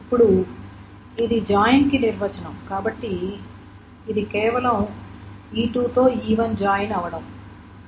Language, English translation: Telugu, Now this is essentially the definition of the join, so this is simply the join of E1 with E2